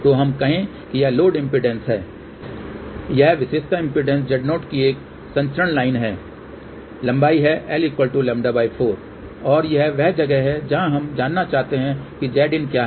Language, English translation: Hindi, So, let us say this is the load impedance , that is a transmission line of characteristic impedance Z 0 , length is lambda by 4 and this is where we want to know what is Z input